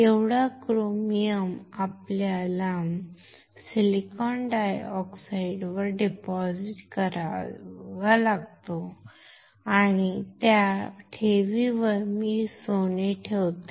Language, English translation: Marathi, This much of chromium we have to deposit on the silicon dioxide and on that deposit, I deposit gold